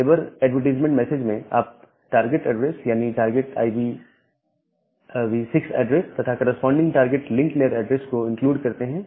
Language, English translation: Hindi, In the neighbor advertisement message, you include the target address, the target IPv6 address and the corresponding target link layer address